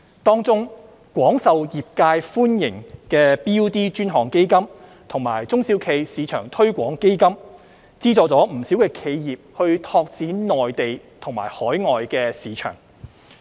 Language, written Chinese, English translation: Cantonese, 當中，廣受業界歡迎的 BUD 專項基金及中小企業市場推廣基金資助了不少企業拓展內地及海外市場。, Among the support provided the BUD Fund and the SME Export Marketing Fund both very well - received by the industry have subsidized many companies to open up mainland and overseas markets